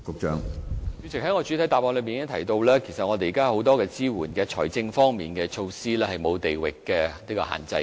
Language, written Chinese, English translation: Cantonese, 主席，我在主體答覆中提到現時已有很多支援，包括財政措施等，是沒有地域限制的。, President I have mentioned in my main reply that currently many support measures including financial measures have no regional restrictions